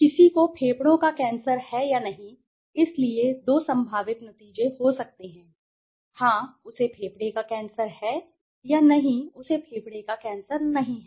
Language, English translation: Hindi, Whether somebody has lung cancer or not, right, so there are two possible outcomes, yes, he has a lung cancer or no he does not have lung cancer